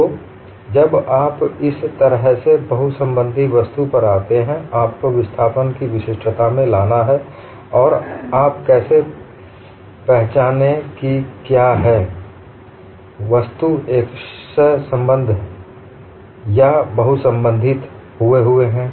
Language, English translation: Hindi, So, when you go to a multiply connected object like this, you have to bring in uniqueness of displacement and how do you identify, whether the object is simply connected or multiply connected